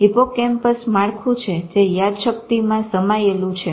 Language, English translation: Gujarati, Hippocampus is a structure which is involved in memory